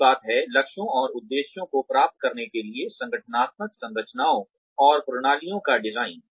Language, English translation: Hindi, The second thing is, design of organizational structures and systems, to achieve the goals and objectives